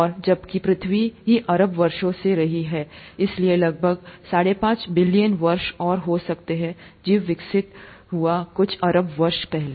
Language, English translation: Hindi, And, whereas earth itself has been around for billions of years, so about four point five billion years, and life evolved may be some billion years ago